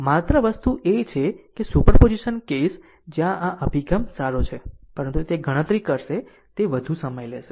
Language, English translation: Gujarati, Only thing is that superposition case where this approach is good, but it will compute your, it will consume your more time right